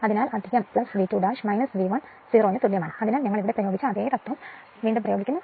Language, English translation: Malayalam, So, plus V 2 dash minus V 1 equal to 0 so, you apply KVL, same thing is same thing we have applied there right